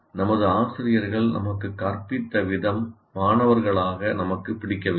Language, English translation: Tamil, And as students, we did not like the way our most of our teachers taught